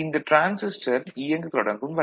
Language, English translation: Tamil, So, this transistor is on